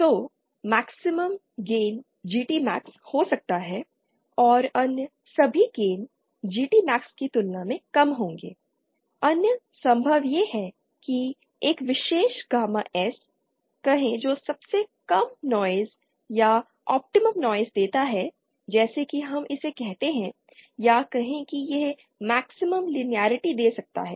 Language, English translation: Hindi, So there might be a maximum gain GT max and all other gain will be lesser than GT max other possible is that say a particular gamma S which gives lowest noise or optimum noise as we call it or say it might give the maximum linearity